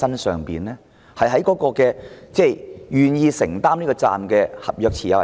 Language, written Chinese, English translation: Cantonese, 是願意承擔責任的合約持有人嗎？, Should the contract holder be held responsible?